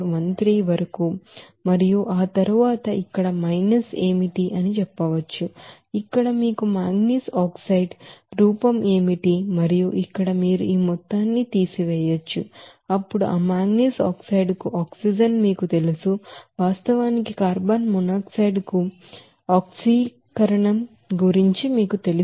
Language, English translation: Telugu, 0413 and then minus here what will be the you know manganese oxide form and here from that you can subtract this amount then what will be the you know oxygen for that manganese oxide actually is required to you know oxidize that carbon to carbon monoxide